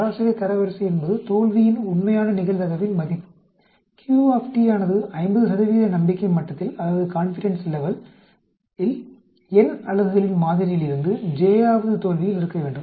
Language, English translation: Tamil, The median rank is the value that the true probability of failure q t should have at the j th failure out of a sample of n units at the 50 percent confidence level